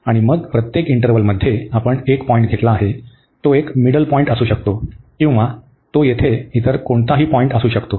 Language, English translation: Marathi, And then in each interval we have taken a point, it could be a middle point or it can be any other point here